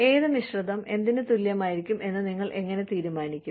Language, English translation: Malayalam, How do you decide, which mix is going to be, equivalent to what